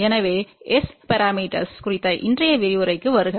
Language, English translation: Tamil, So, welcome to today's lecture on S parameters